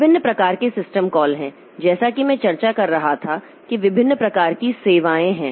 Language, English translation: Hindi, There are different types of system call as I was discussing there are different types of services